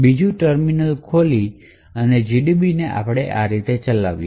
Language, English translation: Gujarati, So, will open another terminal and run GDB as follows